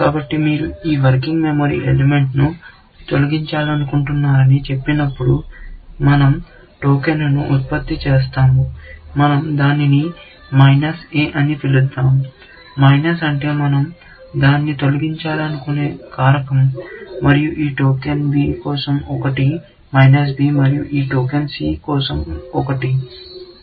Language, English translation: Telugu, So, when you say you want to delete this working memory element, we generate a token; let us say we call it minus a; minus stands for the factor we want to deleting it, and one for this token b, which is minus b, and one for this token c, which is plus c